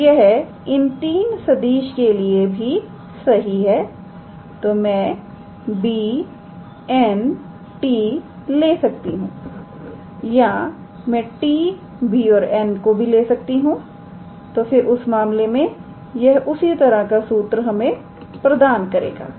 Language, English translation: Hindi, So, this is also true for these 3 vectors I can take b, n, t or I can take t, b and n then in that case it will yield a similar formula